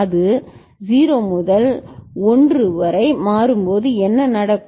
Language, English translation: Tamil, What happens when that changes from 0 to 1